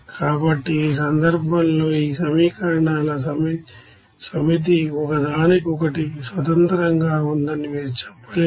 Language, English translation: Telugu, So in this case you cannot say this set of equations are independent to each other